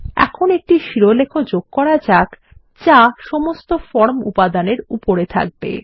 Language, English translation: Bengali, Let us now type a heading that will sit above all the form elements